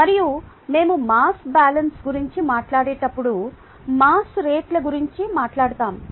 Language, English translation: Telugu, ok, and when we talk about mass balance, we we have we will be talking about mass rates